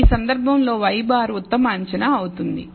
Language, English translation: Telugu, In this case of course, y bar will be the best estimate